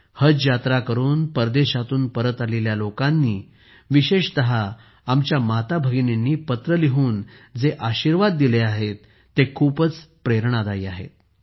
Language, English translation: Marathi, The blessing given by the people who have returned from Haj pilgrimage, especially our mothers and sisters through their letters, is very inspiring in itself